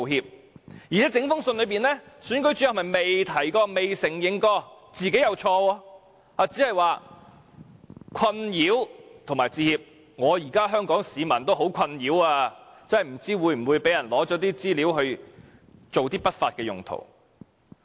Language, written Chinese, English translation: Cantonese, 況且，在整封信中，總選舉事務主任不曾提及也未有承認自己有錯，只表示為困擾致歉——現在香港市民也很困擾，不知道個人資料會否被人用作不法用途。, Besides the Chief Electoral Officer did not mention or admit his fault in the entire letter except apologizing for the distress caused . The people of Hong Kong are indeed very distress now . They are worried that their personal data may be used by other people for illicit purposes